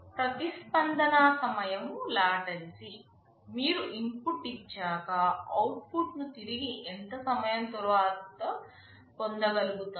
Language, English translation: Telugu, Latency response time: you give an input after how much time you are getting back the output